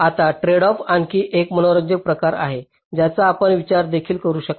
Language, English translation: Marathi, ok, right now there is another interesting kind of a tradeoff, which you can also think off